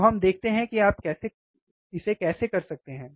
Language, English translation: Hindi, So, let us see how you can do it